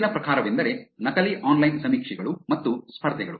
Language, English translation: Kannada, Next type is, Fake Online Surveys and Contests